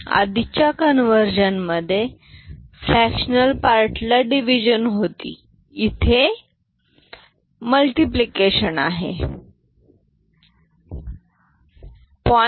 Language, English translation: Marathi, And if we do consider the fractional part earlier, it was division, here it is multiplication right